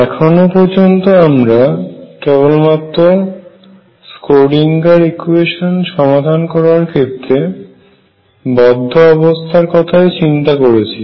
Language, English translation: Bengali, So, far we have been talking about bound states as obtained by solving the Schrödinger equation